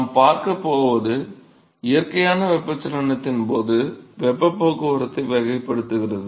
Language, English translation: Tamil, So, what we going to see is characterize heat transport during natural convection